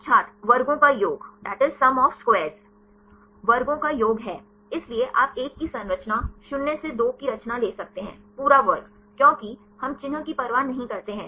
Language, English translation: Hindi, Is sum of squares, so you can take composition of 1, minus composition 2; the whole squared, because we do not care about the sign